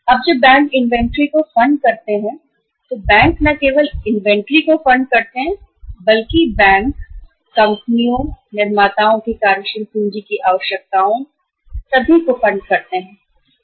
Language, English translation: Hindi, Now when the banks fund the inventory banks not only funding the inventory, bank funds the all working capital requirements of the companies, the manufacturers